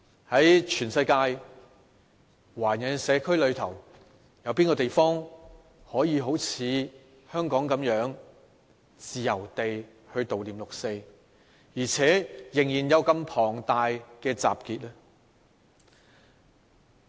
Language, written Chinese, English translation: Cantonese, 在全世界的華人社區中，有哪個地方可以好像香港般自由地悼念六四，而且仍有如此龐大的集結呢？, Among all the Chinese communities worldwide where else is like Hong Kong where a commemoration of the 4 June incident can be held freely and assemblies of such a large scale can still be found?